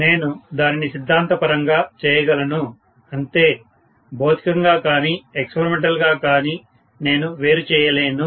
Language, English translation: Telugu, I can do it theoretically, but I cannot do it actually physically or experimentally